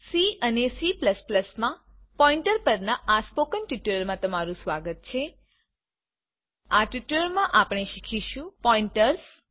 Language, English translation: Gujarati, Welcome to the spoken tutorial on Pointers in C and C++ In this tutorial we will learn, Pointers